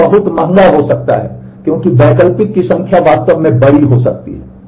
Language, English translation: Hindi, So, this could be very expensive because the number of alternates could be really really large